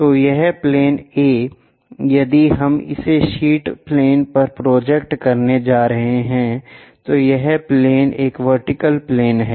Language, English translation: Hindi, So, this plane A if we are going to project it on a sheet plane, this plane is a vertical plane